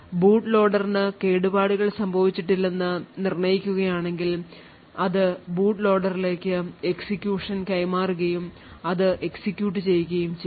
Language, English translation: Malayalam, So, if it determines that the boot loader has is indeed not tampered then it would pass on execution to the boot loader and the boot loader with then execute